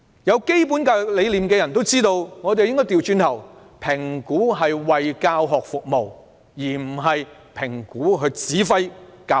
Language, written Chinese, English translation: Cantonese, 有基本教育理念的人也明白，應該反過來，讓評估為教學服務而非指揮教學。, Anyone having a basic concept of education will know that things should work the other way round . Assessment should serve teaching instead of dictating it